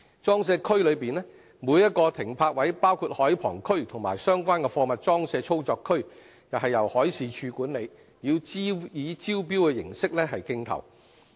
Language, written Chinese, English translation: Cantonese, 裝卸區內每個停泊位，包括海旁區及相關的貨物裝卸操作區，由海事處管理，以招標形式競投。, PCWA berths including seafronts and the related cargo handling areas are managed by the Marine Department and allocated through open tender